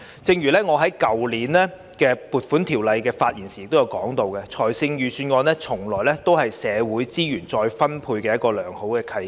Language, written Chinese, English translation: Cantonese, 正如我去年就撥款條例草案發言時提到，預算案是社會資源再分配的良好契機。, As mentioned in my speech on the Appropriation Bill last year the budget is a good chance for redistribution of social resources